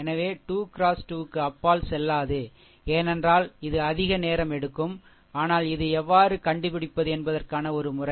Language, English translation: Tamil, So, not will not go beyond 3 into 3, because it will take more time, but this is a methodology that how to find out